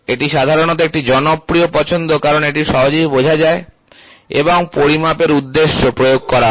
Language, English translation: Bengali, It is generally a popular choice as it is easily understood and applied for the purpose of measurement